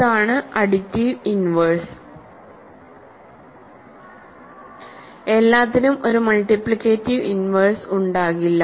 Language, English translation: Malayalam, So, that is the additive inverse, not everything will have a multiplicative inverse, but that is not required for us